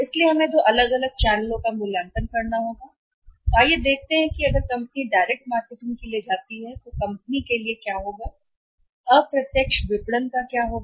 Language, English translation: Hindi, So, we will have to evaluate the two different channels and let us see that if company goes for the direct marketing what will happen when company goes for the indirect marketing what will happen